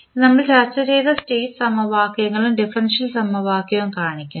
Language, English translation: Malayalam, And this shows the state equations so which we discussed and the differential equation